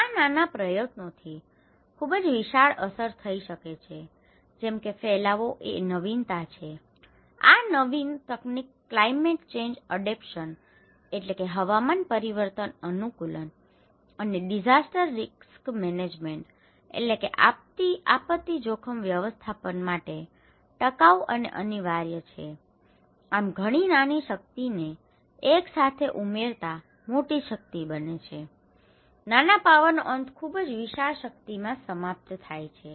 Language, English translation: Gujarati, This small effort can have a very gigantic impact like diffusion is of innovation, this innovative technology is inevitable for sustainable climate change adaptations and disaster risk management so, putting a lot small power together adds up to big power right, putting a lot of small power, small power ending at a very gigantic big power, okay